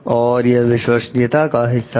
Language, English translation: Hindi, It is part of the trustworthiness